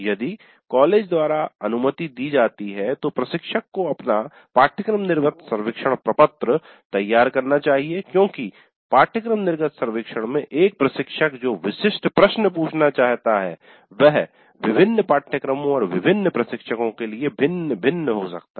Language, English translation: Hindi, Instructor if permitted by the college should design his, her own course exit survey form because the specific questions that an instructor would like to ask in the course exit survey may be different for different courses and different instructors